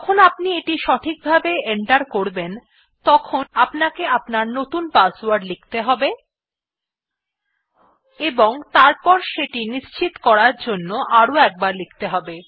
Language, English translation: Bengali, When that is correctly entered ,you will have to enter your new password and then retype it to confirm